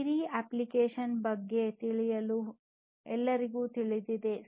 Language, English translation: Kannada, Everybody knows about the application Siri